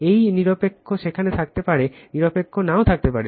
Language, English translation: Bengali, This is neutral may be there, neutral may not be there